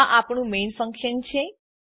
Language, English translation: Gujarati, This is our main functions